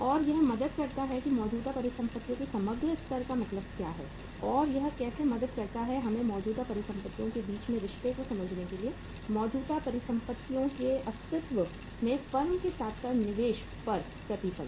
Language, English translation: Hindi, And how it helps to understand the uh say uh means overall uh level of the current assets and how it uh helps us to understand uh the relationship between the current assets, existence of the current assets in a firm as well as the return on investment